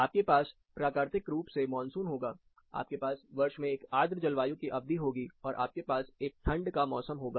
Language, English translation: Hindi, You will have monsoon so naturally, you will have a humid period in the year, and you have a colder season